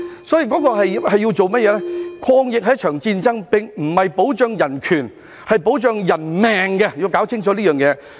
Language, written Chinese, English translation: Cantonese, 抗疫是一場戰爭，並非保障人權，而是保障人命，要搞清楚這件事。, It is a war to fight against the epidemic and it is about protecting human lives rather than human rights